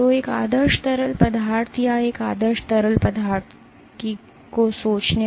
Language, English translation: Hindi, So, thinking of a perfect fluid or an ideal fluid